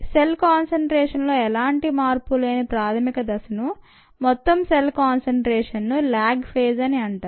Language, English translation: Telugu, the phase in which the initial phase in which there is no change in the cell concentration, total cell concentration, is called the lag phase